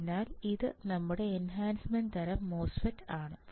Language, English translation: Malayalam, So, this is your enhancement type MOSFET